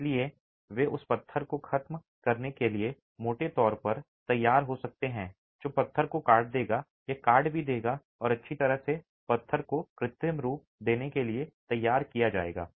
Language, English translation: Hindi, So, they could be rough hewn to give the finish that stone would have or even cut and well dressed to give an artificial finish to stone as well